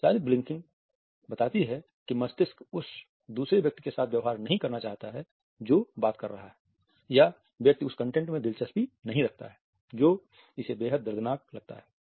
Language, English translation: Hindi, The extended blinking suggest that the brain does not want to tolerate dealing with the other person who is talking or the person is not interested in the content at all finds it extremely painful